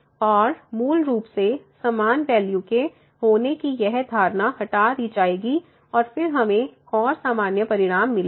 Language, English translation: Hindi, And, basically this assumption of having the equal values will be removed and then we will get more general results